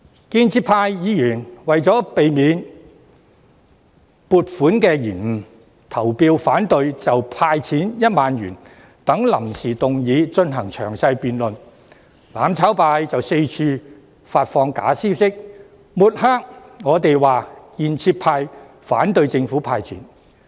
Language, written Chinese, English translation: Cantonese, 建制派議員為免撥款受到延誤，於是投票反對就"派錢 "1 萬元等臨時議案進行詳細辯論，但"攬炒派"卻到處發放假消息，抹黑建制派反對政府"派錢"。, In order to prevent any delay in the allocation of funds pro - establishment Members voted against various motions moved without notice including the one concerning the handout of 10,000 . However the mutual destruction camp subsequently spread the fake information to smear pro - establishment Members claiming that they opposed the handout of cash by the Government